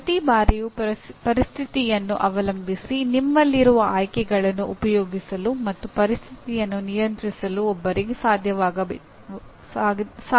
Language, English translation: Kannada, Each time depending on the situation one should be able to exercise the choices that you have and if you are in control of the situation